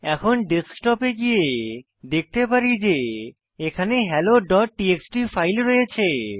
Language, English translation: Bengali, Now come to the Desktop and you can see the file hello.txt here